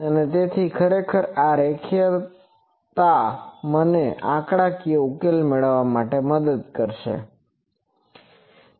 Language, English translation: Gujarati, So, this linearity actually will help me to make the numerical solution that we will see